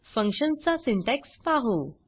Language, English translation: Marathi, Let us see the syntax for function